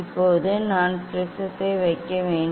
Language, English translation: Tamil, now I have to put the prism